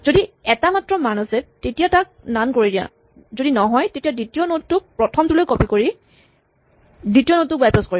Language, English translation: Assamese, If it is only 1 value, make it none; if not, bypass the second node by copying the second node to the first node